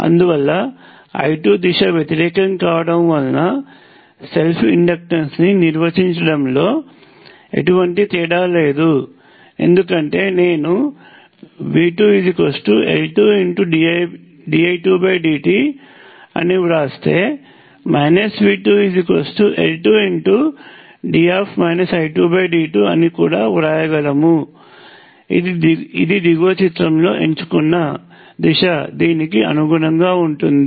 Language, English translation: Telugu, This makes no difference to the self inductance definition because direction I 2 also reversed, because if I wrote V 2 is L 2 dI 2 dt, I could also write minus V 2 as L 2 time derivative of minus I 2, which corresponds to the direction chosen in the bottom picture